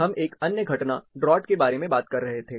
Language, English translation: Hindi, We were talking about other phenomenon, the draught